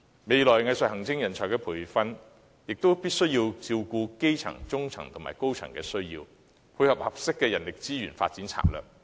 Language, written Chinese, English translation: Cantonese, 未來藝術行政人才的培訓，亦必須能照顧基層、中層和高層的需要，以配合合適的人力資源發展策略。, Meanwhile the training of future arts administrators must also target at catering for the needs of junior staff and middle - level as well as senior management so as to tie in with the appropriate manpower resources development strategy